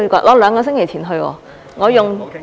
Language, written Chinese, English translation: Cantonese, 我兩個星期前去，我用......, I went there a fortnight ago and I used OK I am sorry my apology